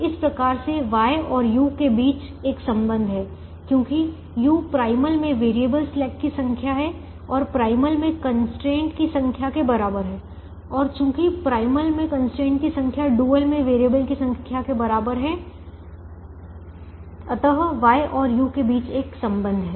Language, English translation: Hindi, and there is a relationship between x and v, because x is the number of variables in the primal, which is equal to the number of constraints in the dual, and therefore the number of variables in the primal will be equal to the number of slack variables in the dual